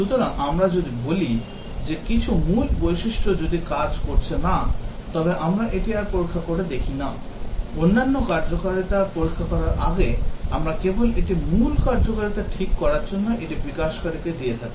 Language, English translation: Bengali, So, if we say that if some core features do not work, then we do not test it further, we just give it to the developer to fix the core functionality before the other functionalities can be tested